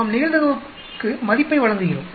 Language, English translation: Tamil, We give the probability the value